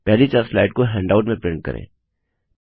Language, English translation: Hindi, Print the first four slides as a handout